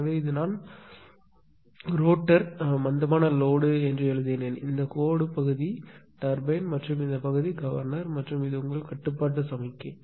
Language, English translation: Tamil, So, this is actually I have written rotor inertia load right, this is this dashed portion is turbine and this portion is governor and this is u is your control signal actually